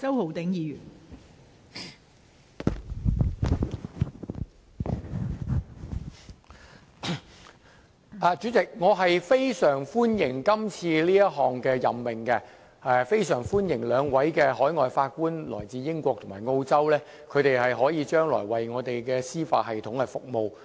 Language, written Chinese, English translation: Cantonese, 代理主席，我非常歡迎今次這項任命，亦非常歡迎兩位分別來自英國和澳洲的海外法官將來為我們的司法系統服務。, Deputy President I very much welcome the appointments made on this occasion . I also extend my greatest welcome to the two foreign Judges from respectively the United Kingdom and Australia who will serve our judicial system